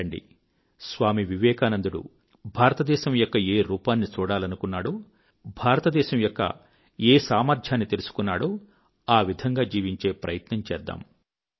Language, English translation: Telugu, Come, let us look anew at India which Swami Vivekananda had seen and let us put in practice the inherent strength of India realized by Swami Vivekananda